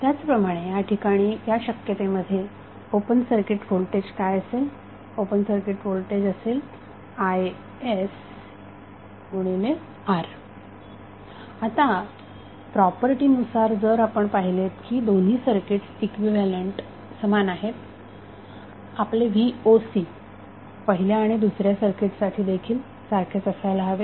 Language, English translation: Marathi, Ssimilarly, in this case what would be the open circuit voltage, open circuit voltage would be is into R now as per property if you see that both of the circuits are equivalent, your V o C for first circuit or Voc for second circuit should be equal